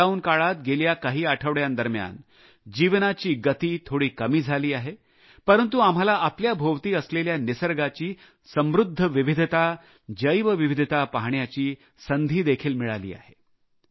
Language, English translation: Marathi, During Lockdown in the last few weeks the pace of life may have slowed down a bit but it has also given us an opportunity to introspect upon the rich diversity of nature or biodiversity around us